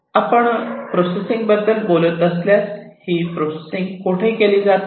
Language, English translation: Marathi, So, if we are talking about this processing, where do we do this processing